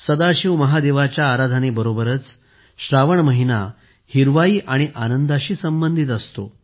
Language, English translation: Marathi, Along with worshiping Sadashiv Mahadev, 'Sawan' is associated with greenery and joy